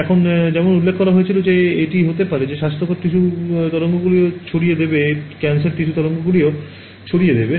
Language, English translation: Bengali, Now as was mentioned it can happen that healthy tissue will also scatter waves cancerous tissue will also scatter waves